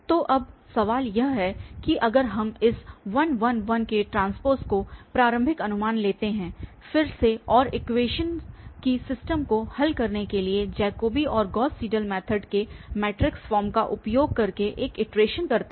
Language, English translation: Hindi, Well, now the question is that if we take this starting guess 1, 1, 1, again and perform 1 iteration using matrix form of Jacobi and Gauss Seidel method for solving system of equations